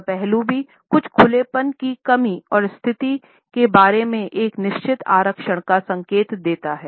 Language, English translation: Hindi, This aspect also indicates a lack of certain openness and a certain reservations about the situation